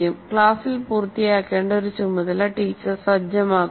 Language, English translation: Malayalam, Then the teacher sets a task to be completed in the class